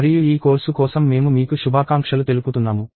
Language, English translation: Telugu, And I wish you all the best for this course